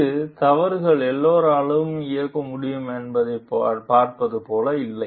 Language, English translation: Tamil, So, it is not like see mistakes can be by everyone